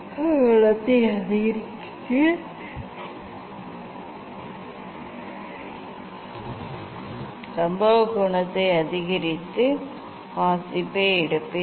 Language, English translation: Tamil, I will increase the incident angle and take the reading